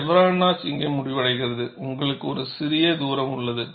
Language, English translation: Tamil, The chevron notch ends here and you have a small distance